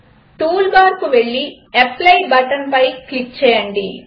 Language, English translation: Telugu, Go to the tool bar and click on the apply button